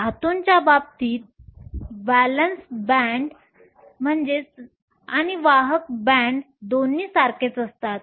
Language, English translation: Marathi, In the case of metals the valence band and the conduction band are both the same